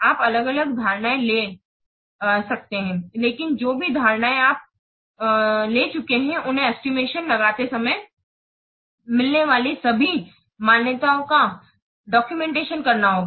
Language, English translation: Hindi, You may take different assumptions, but whatever assumptions you have taken, so you have to document all the assumptions made when making the estimates